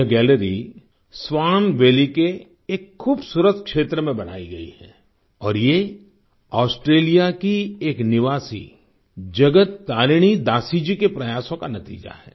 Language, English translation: Hindi, This gallery has been set up in the beautiful region of Swan Valley and it is the result of the efforts of a resident of Australia Jagat Tarini Dasi ji